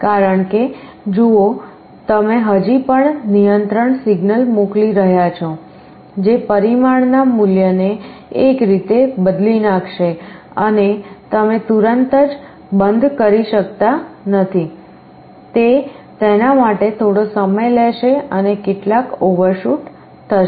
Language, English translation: Gujarati, Because, see you are still sending a control signal that will change the value of the parameter in one way and you cannot instantaneously shut it off, it will take some time for it and there will be some overshoot